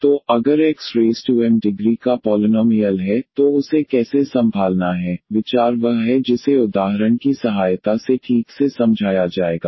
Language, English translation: Hindi, So, if x power m is a polynomial of degree m then how to handle this; the idea is which will be explained properly with the help of example